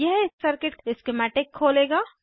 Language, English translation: Hindi, This will open the circuit schematic